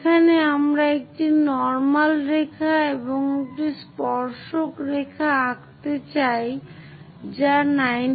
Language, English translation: Bengali, There we would like to have a normal line and a tangent line which makes 90 degrees